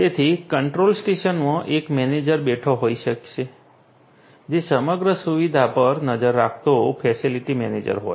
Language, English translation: Gujarati, So, there could be a manager sitting in the control station, who is the facility manager taking keeping an eye on the entire facility